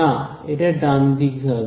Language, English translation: Bengali, No right, it will be to the right